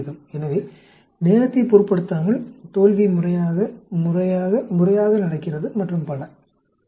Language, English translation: Tamil, So irrespective of time, failure happens regularly, regularly, regularly and so on actually